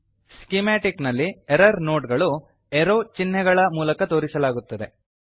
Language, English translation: Kannada, In the schematic, the error nodes are pointed by arrows